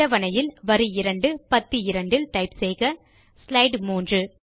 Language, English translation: Tamil, In row 2 column 2 of the table, type slide 3